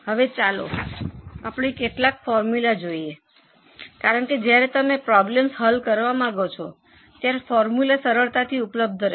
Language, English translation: Gujarati, Now some of the formulas because when you want to solve problems the formulas will come handy